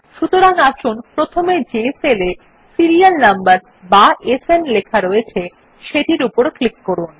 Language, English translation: Bengali, So let us first click on the cell with the heading Serial Number, denoted by SN